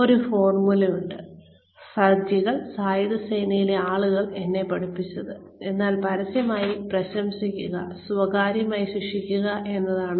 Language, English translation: Malayalam, One formula, that faujis is that, that the people in the armed forces, have taught me is, praise in public, punish in private